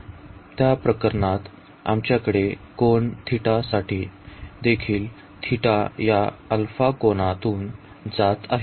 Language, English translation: Marathi, o, in that case and also for the angle theta, we have that theta is going from this alpha angle